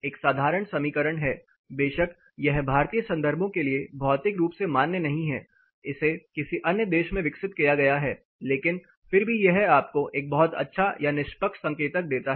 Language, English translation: Hindi, There is a simple equation, of course this is not physically validate for Indian contexts it is developed in some other country, but still it gives you a very good or fair indicator